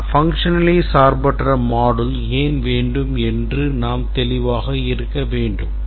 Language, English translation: Tamil, But we should be clear why we want a functionally independent set of modules